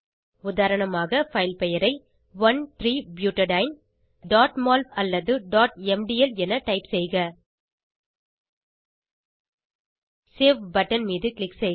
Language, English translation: Tamil, For example, type the filename as 1,3butadiene.mol or .mdl Click on Save button